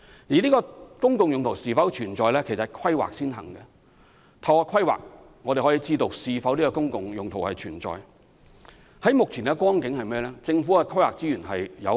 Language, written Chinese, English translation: Cantonese, 至於公共用途是否存在，則要先透過規劃，才能予以確定。目前而言，政府的規劃資源有限。, However public use is something to be determined in the planning process and the Government has limited resources for planning at present